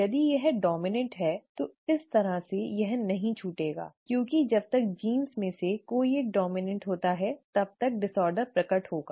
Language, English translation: Hindi, If it is dominant, then this kind of a missing will not arise because one of the, as long as one of the genes is dominant the disorder will manifest